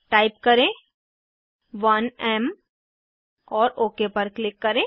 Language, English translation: Hindi, Type 1M and click on OK